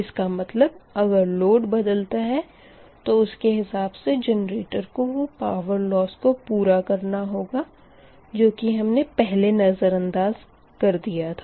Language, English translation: Hindi, so that means whatever load change generation has to accommodate, that your generator has to generate, that power loss we have in ignored here, right